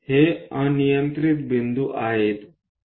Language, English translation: Marathi, These are arbitrary points